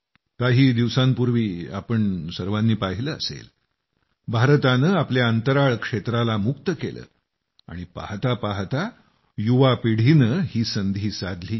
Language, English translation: Marathi, We see how, some time ago, when India opened her Space Sector…within no time the young generation lapped up the opportunity